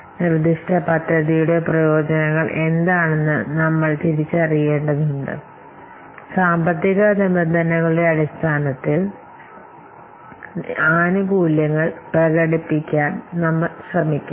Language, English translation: Malayalam, So that's why we must have to identify what are the benefits and we must try to express the benefits in terms of the financial terms, in monetary terms in the business case or in this feasible study report